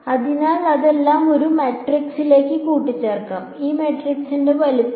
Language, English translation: Malayalam, So, all of that can be combined into one matrix and the size of this matrix is